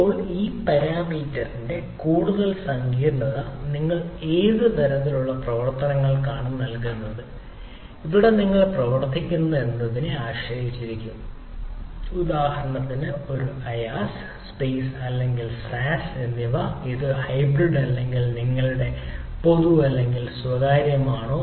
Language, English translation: Malayalam, now, more the complexity of this parameter depends on which level of operations you are doing and where you are running the things like is a ias, space or sas, or whether it is a hybrid, or your public or private